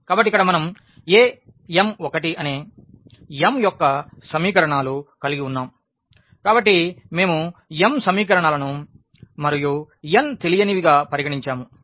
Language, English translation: Telugu, So, here we have a m 1 the mth equations; so, we have considered m equations and n unknowns